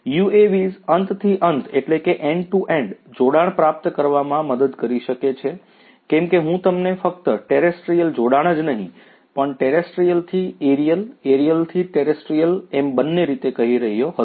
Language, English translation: Gujarati, UAVs can help in achieving end to end connection, as I was telling you not only terrestrial connection, but also terrestrial to aerial, aerial to terrestrial and so on